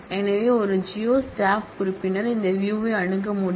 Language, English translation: Tamil, So, a geo staff member would be able to access this view